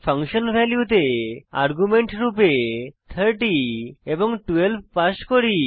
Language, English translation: Bengali, Then we pass arguments as 30 and 12 in function values